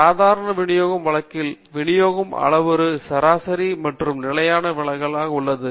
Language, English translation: Tamil, In the case of the normal distribution, the parameters of the distribution themselves are mean and standard deviation